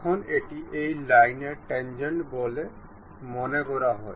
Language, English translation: Bengali, Now, this supposed to be tangent to this line